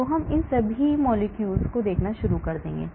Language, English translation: Hindi, So I will start looking at all these millions of molecules